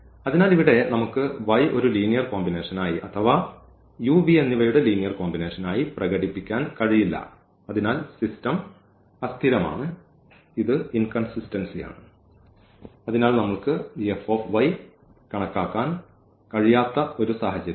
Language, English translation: Malayalam, So, here we cannot express this y as a linear combination or this u and v and therefore, the system is inconsistence, it is inconsistent and this as a reason that we cannot we cannot compute this F of F of y because the information given is not sufficient here